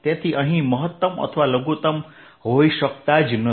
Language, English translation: Gujarati, so they can be no maximum or minimum